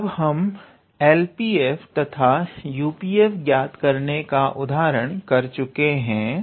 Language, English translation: Hindi, So, now that we have looked into L P, f and U P, f example